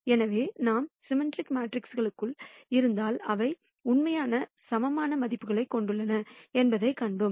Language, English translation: Tamil, So, we saw that, if we have symmetric matrices, they have real eigenvalues